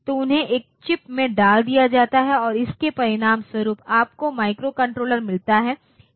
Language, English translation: Hindi, So, they are put into a single chip and as a result what you get is a microcontroller